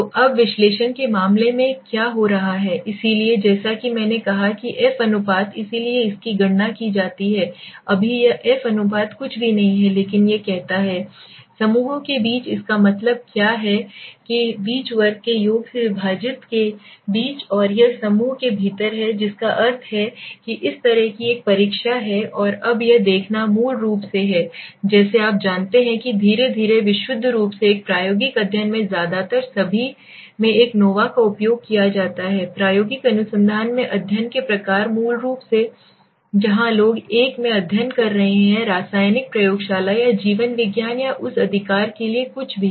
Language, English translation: Hindi, So now what is happening in the case of analysis so variants as I said so F ratio it is calculated right now this f ratio is nothing but it says Between divided by means sum of square within no what do I mean by this between the groups and this is within the group that means there is such a test and now looking at this is basically like a you know getting slowly into a purely an experimental study a nova is used in mostly all kinds of studies in the experimental research basically where people are studying on in a chemical lab or on biology or anything for that right